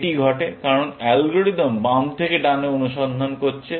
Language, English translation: Bengali, That happens, because the algorithm is searching from left to right